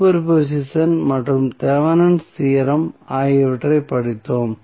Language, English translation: Tamil, We studied superposition as well as Thevenin's theorem